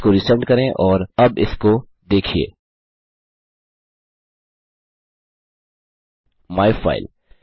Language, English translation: Hindi, Re send that and see that now myfile